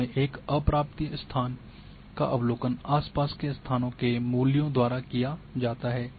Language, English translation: Hindi, At an unobserved location from observations of it are values by nearby locations